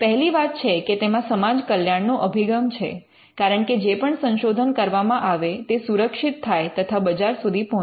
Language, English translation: Gujarati, So, first thing is that there is a public good perspective because all the research that is done is protected and it reaches the market